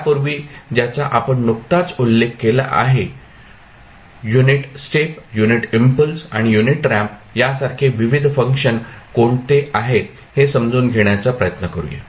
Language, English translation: Marathi, Before that, let us try to understand what are the various functions which we just mentioned here like unit step, unit impulse and unit ramp functions